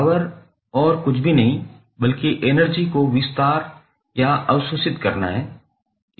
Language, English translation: Hindi, Power is nothing but time rate of expanding or absorbing the energy